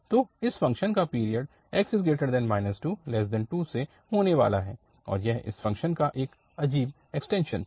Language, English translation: Hindi, So, the one period of this function is going to be from this minus 2 to 2 and this was an odd extension of this function